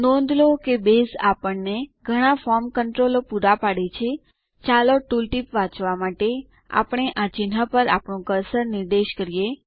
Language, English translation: Gujarati, Notice that Base provides us a lot of form controls let us point our cursor over these icons to read the tool tips